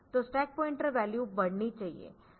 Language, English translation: Hindi, So, stack pointer value should increase